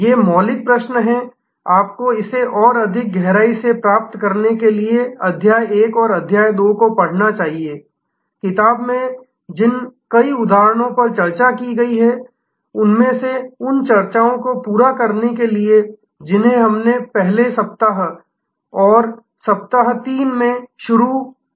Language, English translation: Hindi, These fundamental questions, you should read chapter 1 and chapter 2 to get it better depth, go through many of the examples which are discussed in the book, to supplement the discussions that we have already had in the early part in week 1 and week 3